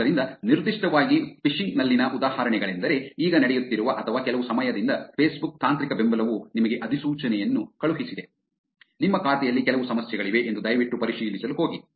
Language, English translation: Kannada, So, specifically the examples in phishing that are going on now or have been around for sometime is Facebook technical support sent you a notification saying that, there is some problem in your account please go verify